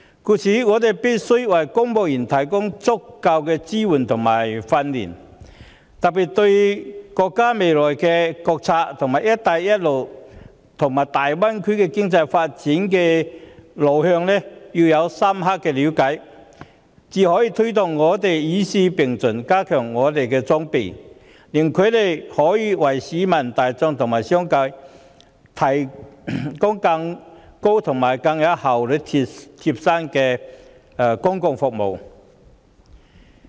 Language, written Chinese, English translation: Cantonese, 因此，我們必須為公務員提供足夠的支援和訓練，尤其應加深他們對國家未來國策、"一帶一路"，以及粵港澳大灣區經濟發展路向的了解，藉着加強公務員的裝備，才可有效推動與時並進，令他們可以為市民大眾和商界提供更具效率及更貼心的公共服務。, Therefore civil servants must be provided with adequate support and training and in particular they should gain a more thorough understanding of the future national strategy the Belt and Road initiative and the direction of the economic development of the Guangdong - Hong Kong - Macao Greater Bay Area so as to get them better prepared while effectively motivating them to keep abreast with the times thereby enabling them to provide more efficient and caring public services to the general public as well as the business community